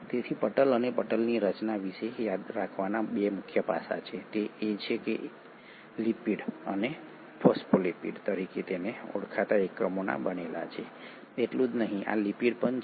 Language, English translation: Gujarati, So there are 2 major aspects one has to remember about membrane and membrane structure is that not only are they made up of lipid and units called phospholipids, these lipids are highly fluidic in nature